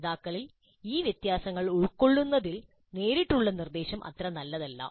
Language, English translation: Malayalam, Direct instruction by itself is not very good at accommodating these differences in the learners